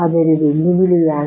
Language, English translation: Malayalam, That is a challenge